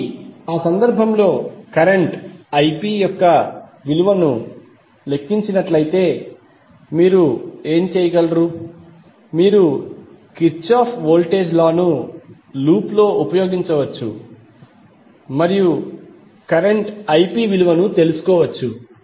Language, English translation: Telugu, So in that case, if calculate the value of the current Ip, what you can do, you can simply use Kirchhoff Voltage Law in the loop and find out the value of current Ip